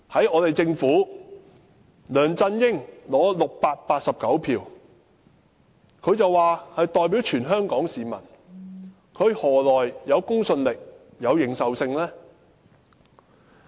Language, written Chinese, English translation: Cantonese, 我們的政府之首梁振英，取得689票便說自己代表全香港市民，他何來公信力和認受性？, LEUNG Chun - ying the head of our Government only secured 689 votes and he claims himself the representative of all Hong Kong people . Do you find him credible? . Can he represent the people?